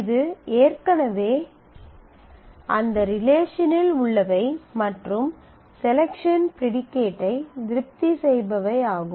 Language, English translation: Tamil, So, it already exists in that relation and it satisfies the particular selection predicate